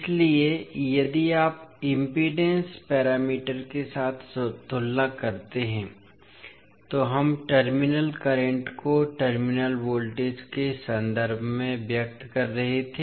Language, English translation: Hindi, So, if you compare with the impedance parameter, where we are expressing the terminal voltages in terms of terminal currents